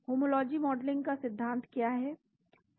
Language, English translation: Hindi, What is the concept of homology modeling